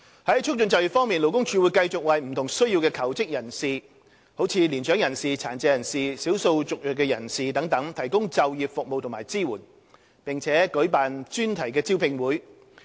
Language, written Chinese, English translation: Cantonese, 在促進就業方面，勞工處會繼續為有不同需要的求職人士，如年長人士、殘疾人士、少數族裔人士等提供就業服務及支援，並舉辦專題招聘會。, On the front of promoting employment LD will continue to provide employment services and support for job seekers with different needs such as mature persons persons with disabilities and ethnic minorities and organize thematic job fairs for them